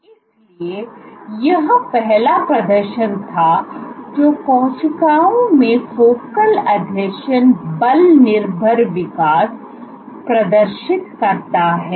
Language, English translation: Hindi, So, this was the first demonstration that cells where focal adhesions exhibit force dependent growth